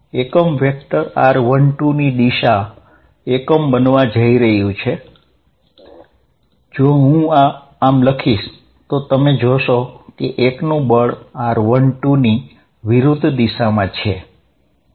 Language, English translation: Gujarati, The unit vector is going to be in r 1 2 direction of magnitude unity, if I write like this then you notice that force on 1 is in the direction opposite of r 1 2